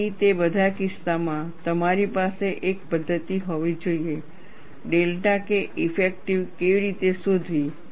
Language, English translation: Gujarati, So, in all those cases, you should have a methodology, how to find out delta K effective